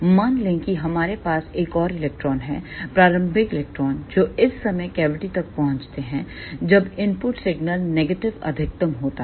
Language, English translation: Hindi, Let us say we have another electron early electron that reaches the cavity at this point of time when the input signal is negative maxima